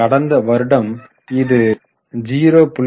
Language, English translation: Tamil, In the last year it was 0